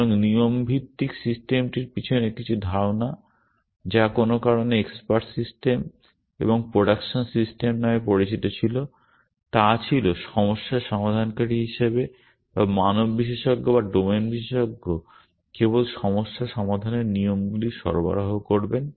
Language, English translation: Bengali, So, the idea behind rule based systems which also were for some reason called expert systems and production systems was that the problem solver or the human expert or the domain expert will only provide the rules for solving problems